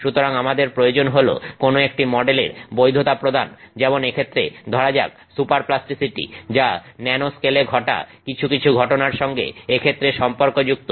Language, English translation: Bengali, So, our requirement is for you know, validating some model in say superplasticity in this case associated with some phenomenon that is occurring at the nanoscale in this case